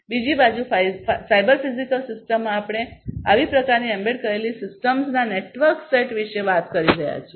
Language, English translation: Gujarati, On the other hand in a cyber physical system, we are talking about a network set of such kind of embedded systems